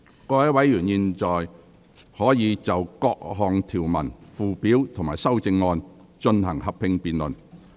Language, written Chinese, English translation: Cantonese, 各位委員現在可以就各項條文、附表及修正案，進行合併辯論。, Members may now proceed to a joint debate on the clauses Schedules and amendments